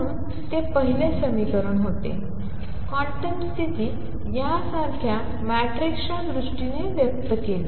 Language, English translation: Marathi, So, that was the first equation; the quantum condition expressed in terms of matrices like this